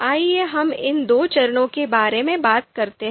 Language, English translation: Hindi, So let us talk about these two phases